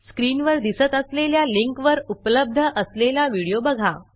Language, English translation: Marathi, Watch the video available at the link shown on the screen